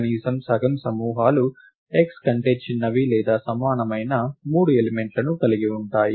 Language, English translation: Telugu, Therefore, at least half the groups have 3 elements smaller than or equal to x